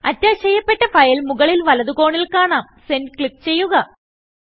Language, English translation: Malayalam, The file is attached and the attachment is displayed at the top right corner.Click Send